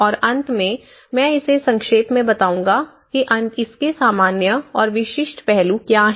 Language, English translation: Hindi, And finally, I will summarize it, see what are the various generic aspects of it and the specific aspects to it